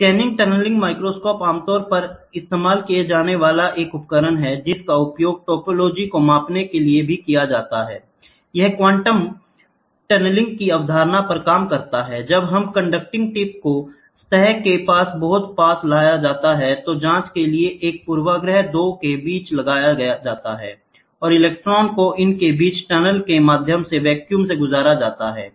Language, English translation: Hindi, The scanning tunneling microscope is another instrument commonly used; which is also used for measuring topology, it works on the concept of quantum tunneling; when a conducting tip is brought very near to the surface to be examined a bias is applied between the 2, and can allow the electrons to tunnel through the vacuum between them